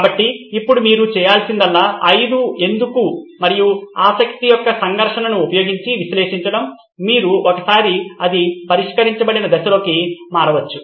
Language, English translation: Telugu, So now what you had to do was to analyze using 5 why’s and the conflict of interest, once you have that then we can jump into the solved stage